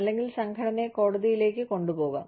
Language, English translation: Malayalam, Or, maybe, taking the organization to court